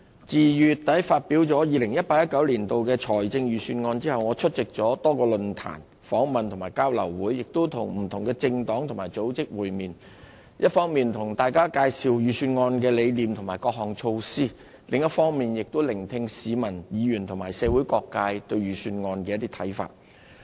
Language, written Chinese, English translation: Cantonese, 自2月底發表 2018-2019 年度財政預算案後，我出席了多個論壇、訪問和交流會，亦與不同的政黨和組織會面，一方面向大家介紹預算案的理念和各項措施，另一方面也聆聽市民、議員和社會各界對預算案的看法。, Following the presentation of the 2018 - 2019 Budget at the end of February I have attended numerous forums interviews and exchange sessions and met with different political parties and organizations explaining to the public the philosophy and various measures of the Budget on the one hand and and listening to the people Members and various sectors of the community about their views on the Budget on the other